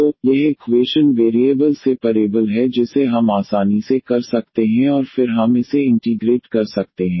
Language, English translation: Hindi, So, this equation is variable separable which we can easily do and then we can integrate it